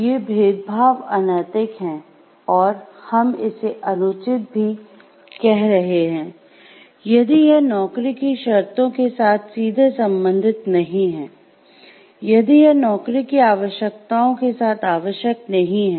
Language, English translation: Hindi, These discriminations are unethical, if unethical and we are talking it unfair also, if it is not directly related anything with the conditions of the job, if it is not required with the job requirements